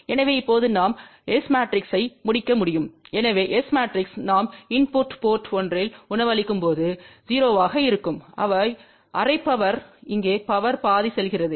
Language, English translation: Tamil, So, now we can complete the S matrix, so S matrix when we have feeding at input port 1 so that is 0, half power goes here half power goes here